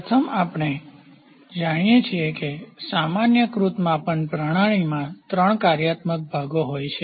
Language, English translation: Gujarati, First we know that the generalised measuring system consist of three functional parts